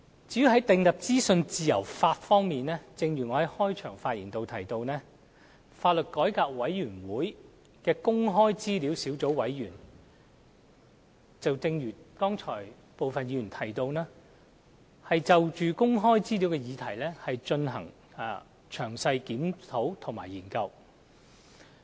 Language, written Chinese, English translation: Cantonese, 在訂立資訊自由法方面，正如我在開場發言表示，香港法律改革委員會的公開資料小組委員會，正如剛才部分議員提到，正就公開資料的議題進行詳細檢討及研究。, As to whether a law will be enacted on freedom of information I have explained in the opening remarks that the Access to Information Sub - committee under the law Reform Commission of Hong Kong LRC is currently reviewing and studying the relevant question in detail . Just now some Members have also mentioned that